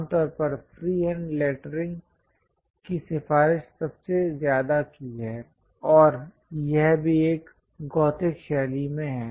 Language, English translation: Hindi, Usually, it is recommended most freehand lettering, and that’s also in a gothic style